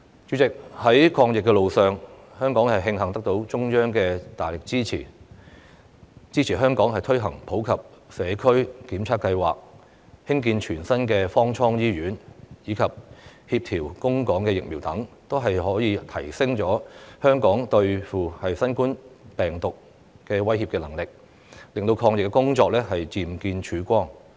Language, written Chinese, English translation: Cantonese, 主席，在抗疫路上，香港慶幸得到中央的大力支持，支援香港推行普及社區檢測計劃、興建全新的方艙醫院，以及協調供港疫苗等，這些均可提升香港應對新冠病毒威脅的能力，令抗疫工作漸見曙光。, President in the battle against the epidemic Hong Kong has been fortunate to receive tremendous support and assistance from the Central Authorities in the implementation of the Universal Community Testing Programme the construction of a mobile cabin hospital from scratch and coordination of vaccine supply to Hong Kong . Such assistance has enhanced Hong Kongs capability in countering the threat posed by COVID - 19 offering a glimpse of hope in the fight against the epidemic